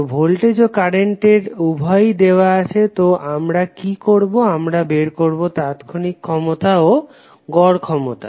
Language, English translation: Bengali, So voltage v and current both are given what we have to do we have to find out the value of instantaneous as well as average power